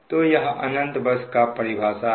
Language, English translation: Hindi, so this is your definition of infinite bus